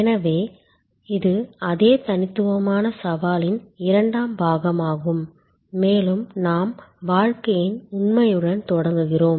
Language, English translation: Tamil, So, this is the second part of that same unique challenge set two and we start with the fact of life